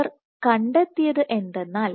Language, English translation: Malayalam, So, what they found